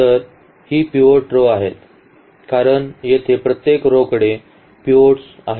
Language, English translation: Marathi, So, these are the pivot rows because the each rows has a pivot here now, each rows has a pivot